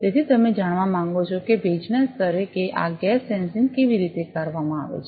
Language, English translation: Gujarati, So, you want to know that at humidity level that how this gas sensing is being performed